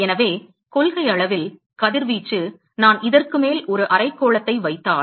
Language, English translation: Tamil, So, in principle the radiation if I put a hemisphere on top of this